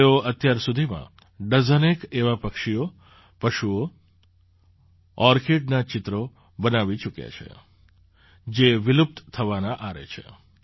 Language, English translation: Gujarati, Till now he has made paintings of dozens of such birds, animals, orchids, which are on the verge of extinction